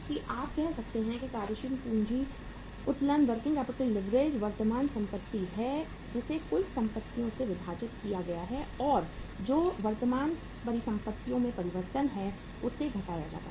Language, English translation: Hindi, So we would say that working capital leverage can be worked out with the help of current assets divided by the total assets minus change in the current assets